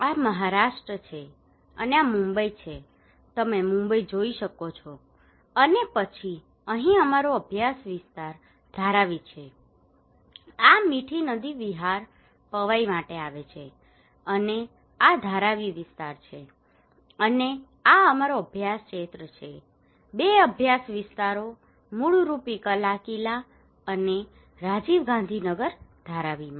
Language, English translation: Gujarati, This is Maharashtra, and this is Mumbai you can see Mumbai and then here is our study area Dharavi this is Mithi river coming for Vihar, Powai and this is Dharavi area and this is our study area, two study areas basically Kalaquila and Rajiv Gandhi Nagar in Dharavi